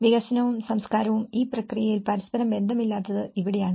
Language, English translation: Malayalam, And this is where how development and culture are not related to each other in the process